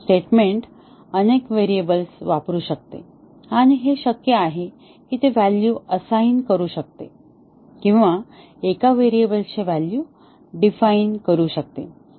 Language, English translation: Marathi, The statement may use many variables and it is possible that it can assign value or defines value of one variable